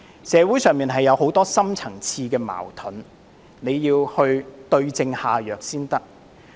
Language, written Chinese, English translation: Cantonese, 社會上有很多深層次矛盾，必須對症下藥。, The right cure should be prescribed to resolve the many deep - rooted conflicts in society